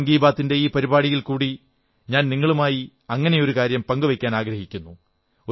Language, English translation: Malayalam, Today, in this episode of Mann Ki Baat, I want to share one such thing with you